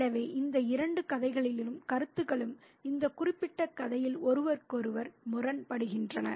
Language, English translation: Tamil, So, these two sets of ideas are contrasted with one another in this particular story